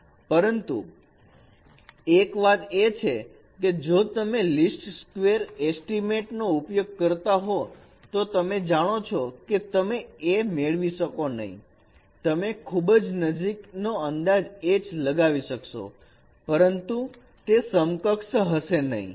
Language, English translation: Gujarati, But one thing is that if you are using LIS squared estimate, then of course no, you may not get a, you can get a close estimate of H, but it is not equivalent